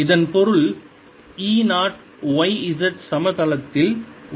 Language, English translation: Tamil, this means e zero is in the y z plane